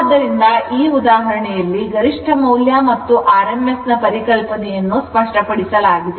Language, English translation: Kannada, So, that is why this example is taken such that maximum value and rms value all the concept our concept will be clear